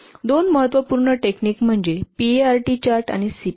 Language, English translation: Marathi, Two important techniques are the Perth chart and the CPM